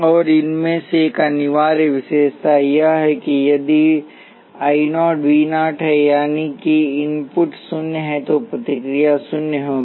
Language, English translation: Hindi, And an essential feature of these is that if I 0 V is 0 that is excitation is zero the response would be zero